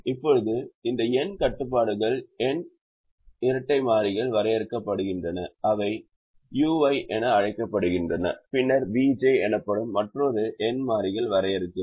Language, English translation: Tamil, now, these n constraints, we define n dual variables which are called u i, and then we also define another n variables which are v j